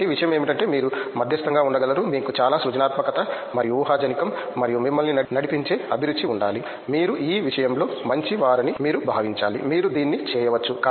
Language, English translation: Telugu, So, the thing is that you can be a mediocre, you just need to have a lot of creativity and imagination and the passion that drives you, you have to feel that okay you are good at this, you can do this